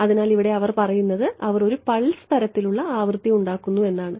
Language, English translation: Malayalam, So, here they say they are making a pulse kind of a frequency